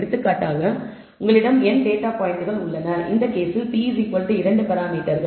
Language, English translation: Tamil, For example, you have n data points and in this case the p is equal to 2 parameters